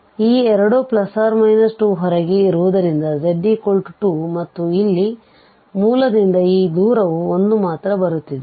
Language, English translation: Kannada, These two they lie outside because z is equal to 2 and here this distance is coming as 1 only